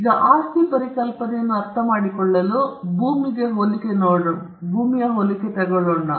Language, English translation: Kannada, Now, to understand the concept of property, we need to take the analogy of land or landed property